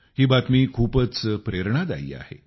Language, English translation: Marathi, This news is very inspiring